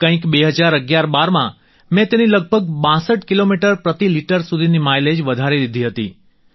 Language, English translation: Gujarati, Sometime in 201112, I managed to increase the mileage by about 62 kilometres per liter